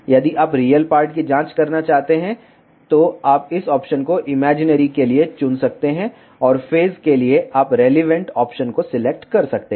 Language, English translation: Hindi, If you want to check the real part, you can select this option for imaginary and for phase you can select the relevant option